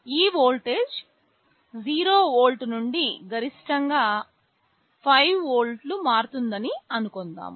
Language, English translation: Telugu, Let us assume this voltage is varying from 0 volt up to some maximum let us say 5 volts